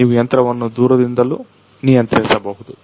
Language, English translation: Kannada, You can control the machine also remotely